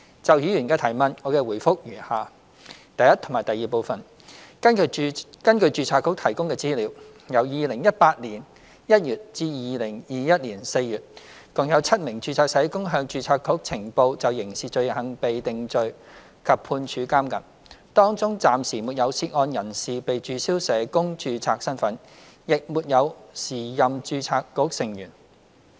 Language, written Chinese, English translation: Cantonese, 就議員的質詢，我的答覆如下：一及二根據註冊局提供的資料，由2018年1月至2021年4月，共有7名註冊社工向註冊局呈報就刑事罪行被定罪及判處監禁，當中暫時沒有涉案人士被註銷社工註冊身份，亦沒有時任註冊局成員。, My reply to the Members question is as follows 1 and 2 According to the information provided by the Board from January 2018 to April 2021 a total of seven registered social workers have reported to the Board that they have been convicted of criminal offences with sentences of imprisonment . None of them had hisher name removed from the Register so far nor were any of them a member of the Board